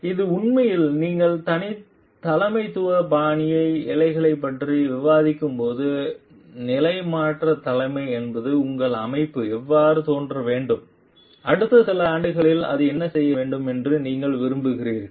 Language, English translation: Tamil, So, it is an actually when you are discussing leadership style strands transformational leadership is where you want your organization to become how it should appear and what it should do in the next few years